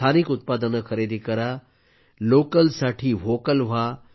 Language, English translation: Marathi, Buy local products, be Vocal for Local